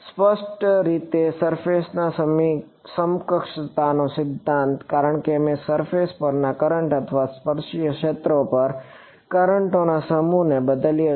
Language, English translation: Gujarati, Clearly surface equivalence principle, because I have replaced V 2 by set of currents on the currents or the tangential fields on the surface